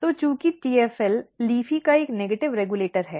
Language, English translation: Hindi, So, since TFL is a negative regulator of LEAFY